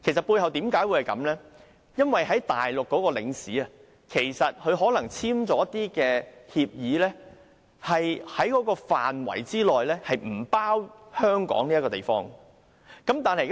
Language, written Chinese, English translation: Cantonese, 背後的原因，是駐內地的領事可能與內地政府簽署了協議，適用範圍不包含香港這個地方。, The reason for this is that consuls stationed in the Mainland and the Mainland Government might have signed agreements under which Hong Kong had not been included within the scope of application